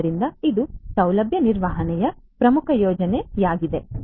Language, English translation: Kannada, So, this is an important benefit of facility management